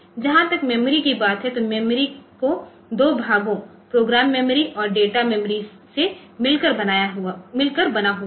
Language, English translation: Hindi, thought to be consisting of two parts program memory and data memory